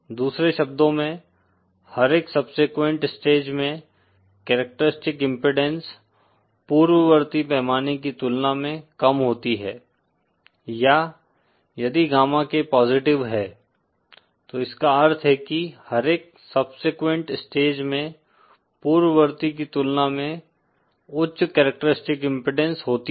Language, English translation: Hindi, In other words every subsequent stage has a lower characteristic impudence as compared to the preceding scale or if gamma K is positive then that means every subsequent stage has higher characteristic impudence as compared to the preceding one